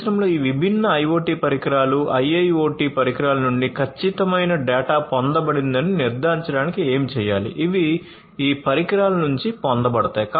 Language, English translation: Telugu, To do what to ensure that the accurate data is obtained from these different IoT devices, IIoT devices, in the industry; these are obtained from these devices